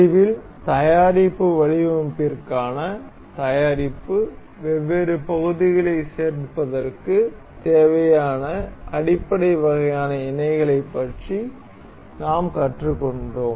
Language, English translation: Tamil, In the end, we have learned the we have learned about basic, basic kinds of mating that is needed for assembly of different parts for product for product design